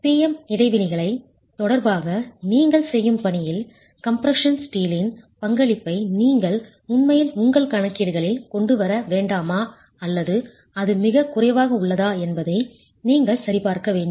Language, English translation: Tamil, And in the assignment that you will do with respect to the PM interactions, you'll actually check if the contribution by the compression steel is something you must actually bring into your calculations or is it something negligible